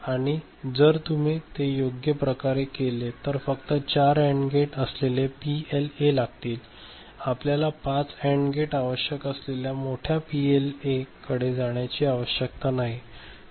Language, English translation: Marathi, So, if you do that right then a PLA with having only 4 AND gates would do, we do not need to go up to something which is of higher size that is requiring five ok